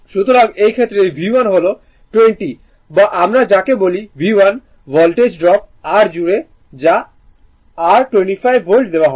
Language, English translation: Bengali, So, in this case as V 1 is 20 or what we call that V 1 Voltage drop across R that is your 25 volt is given